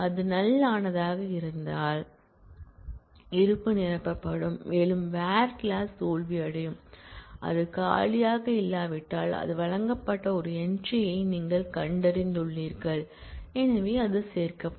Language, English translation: Tamil, if it is an empty one, then exist will fill and the whole where clause will fail, if it was not an empty one then you have found such an entry it was offered and therefore, it will get included